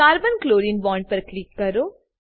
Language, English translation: Gujarati, Click on Carbon Chlorine bond